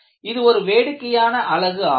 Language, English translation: Tamil, It is a very very funny unit